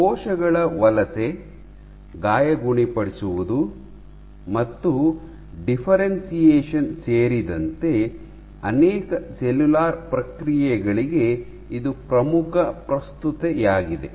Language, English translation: Kannada, So, it is of key relevance to multiple cellular processes including migration, wound healing and differentiation